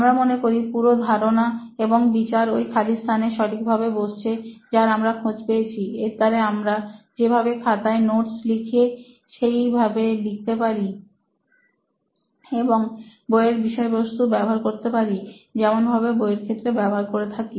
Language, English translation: Bengali, We feel this whole concept and this idea could be a right fit in for that gap what we have found out, where we can actually take down notes like we are taking down notes in our notebooks and also have access to textbook content like we been having through all the textbook content